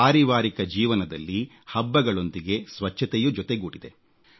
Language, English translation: Kannada, In individual households, festivals and cleanliness are linked together